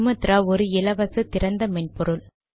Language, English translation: Tamil, And Sumatra is free and open source